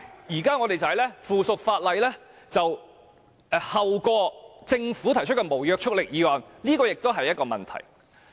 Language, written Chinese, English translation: Cantonese, 現在我們相反，附屬法例後於政府提出的無立法效力議案討論，這也是一個問題。, However the current arrangement provides for the opposite where motions on subsidiary legislation are placed after Government motions with no legislative effect . This is a cause of concern